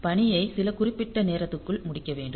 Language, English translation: Tamil, So, that the task has to be completed within some fixed amount of time